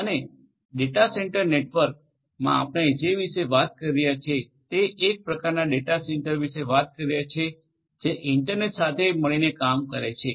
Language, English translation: Gujarati, And, in the data centre network what we are talking about we are talking about these kind of data centres which are internet worked together right